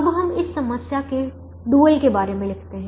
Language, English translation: Hindi, now we now write the dual of this problem